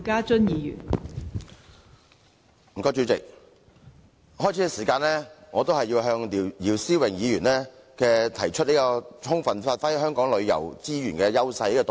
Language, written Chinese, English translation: Cantonese, 代理主席，首先，我要多謝姚思榮議員提出"充分發揮本地旅遊資源的優勢"的議案。, Deputy President first of all I would like to thank Mr YIU Si - wing for moving the motion on Giving full play to the edges of local tourism resources